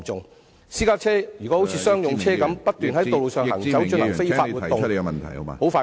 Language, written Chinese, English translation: Cantonese, 如果私家車像商用車般，不斷在道路上行駛進行非法活動......, If private cars are used as commercial vehicles and travelling on the road plying for illegal activity